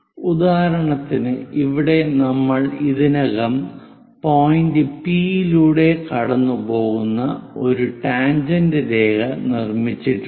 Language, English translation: Malayalam, For example, here we have already have constructed a tangent line passing through point P